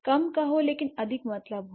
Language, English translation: Hindi, So, say less but mean more